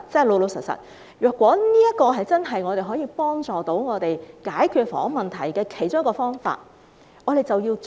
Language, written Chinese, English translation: Cantonese, 老實說，如果這是真正可以幫助我們解決房屋問題的其中一個方法，我們便應該要做。, Frankly if this is one of the ways which can really help us resolve the housing problem we should go ahead